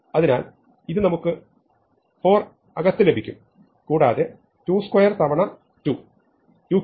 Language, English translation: Malayalam, So, this I get 4 inside and 2 squared times 2, is 2 cubes